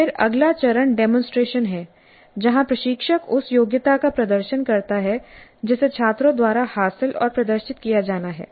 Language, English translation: Hindi, The next phase is demonstration where the instructor demonstrates the competency that is to be acquired and demonstrated by the students